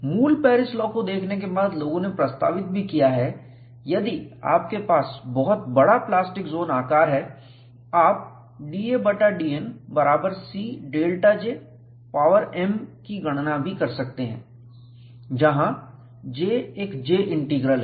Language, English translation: Hindi, After looking at the basic Paris law, people also have proposed, if we have very large plastic zone size, you can also calculate d a by d N equal to C delta J power m, where J is a J integral